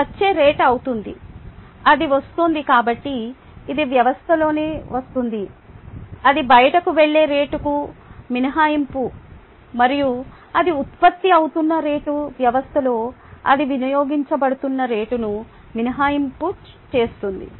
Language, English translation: Telugu, it is coming in, therefore it is coming into the system minus the rate at which it goes out, plus the rate at which it is being generated in the system itself, minus the rate at which it is getting consumed in the system